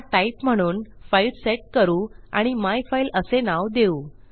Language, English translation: Marathi, This type is set to file and well call it myfile to be specific